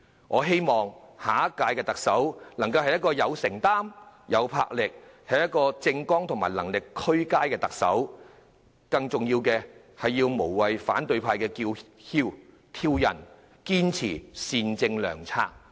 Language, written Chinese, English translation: Cantonese, 我希望下任特首是一個有承擔、有魄力的人，是一位政綱和能力俱佳的特首，更重要的是要無懼反對派的叫囂和挑釁，堅持善政良策。, I hope that the next Chief Executive will be person with commitment and enterprise a Chief Executive backed by a sound political platform and governing competence . More importantly he or she must hold onto all the benevolent policies defying all the cries and provocations of the opposition